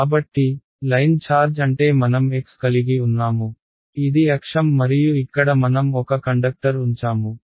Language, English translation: Telugu, So, what do I mean by a line charge is let say that I have x, this is my axis and over here I have put a conductor